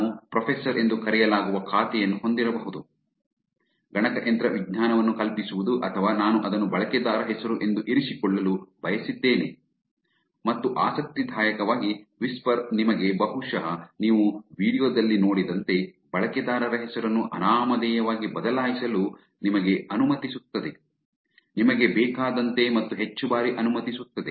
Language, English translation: Kannada, I may have an account, which is called professor, teaching computer science or anything that I wanted to keep that is the username and interestingly whisper also allows you to back with probably have seen video also, whisper also allows you to change the usernames as anonymous as you want and more number of times also